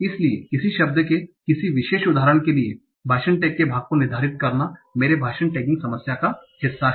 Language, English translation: Hindi, So it remind the part of speech tag for a particular instance of a word is my part of speech tagging problem